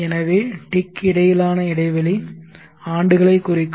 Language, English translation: Tamil, So the space between the ticks are supposed to represent the years